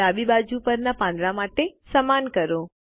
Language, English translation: Gujarati, Let us do the same for the leaves on the left